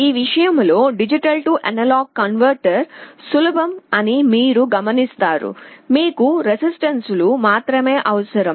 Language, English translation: Telugu, You see D/A converter is easier in that respect, you need only resistances